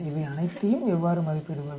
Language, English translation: Tamil, How do you estimate all these